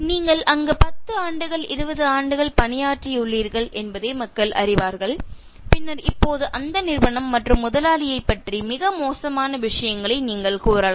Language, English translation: Tamil, People will know you have served there for 10 years, 20 years and then now you can say very bad things about that company and the boss